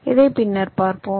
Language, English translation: Tamil, we shall see this later